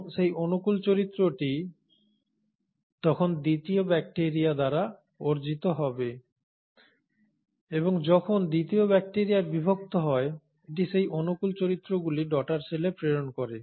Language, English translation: Bengali, And that favourable character will then be acquired by the bacteria 2 and as the bacteria 2 divides; it is going to pass on these favourable characters to its daughter cells